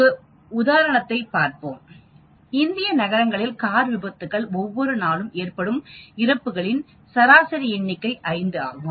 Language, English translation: Tamil, Let us look at an example, suppose the average number of fatalities due to car accidents in a city in India on any day is 5